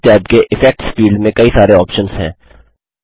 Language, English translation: Hindi, In the Effects field under this tab there are various options